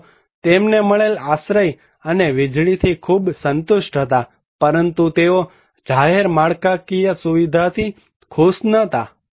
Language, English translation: Gujarati, People were very satisfied as per the shelter and electricity, but they were not happy with the public infrastructure